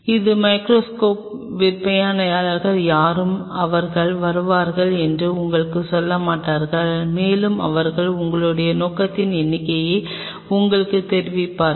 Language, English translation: Tamil, That is something which no seller of microscope will tell you they will come and they will tell you n number of info which is to cell their objective